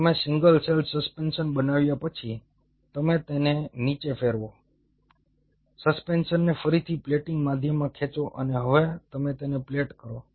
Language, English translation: Gujarati, after you made the single cell suspension, you spin it down, pull out the suspension, resuspend it in a plating medium and now you plate them